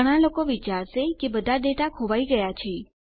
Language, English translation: Gujarati, Most people would think all that data has been lost now